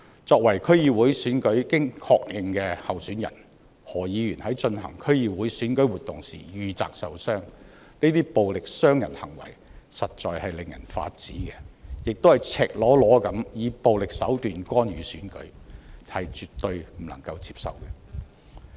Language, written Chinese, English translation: Cantonese, 作為經確認的區議會選舉候選人，何議員在進行區議會選舉活動時遇襲受傷，這些暴力傷人行為實在令人髮指，亦是以赤裸裸的以暴力手段干預選舉，絕對不能接受。, Mr HO a confirmed candidate for the DC Election was assaulted and injured during the canvassing campaign of the DC Election . These violent assaults are really outrageous and the use of violent means to blatantly interfere with the Election is absolutely unacceptable